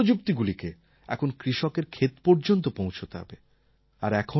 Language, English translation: Bengali, But we have to ensure that this technology reaches the fields